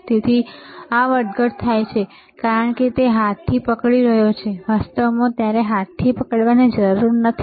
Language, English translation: Gujarati, So, this fluctuating because he is holding with hand, in reality you do not have to hold with hand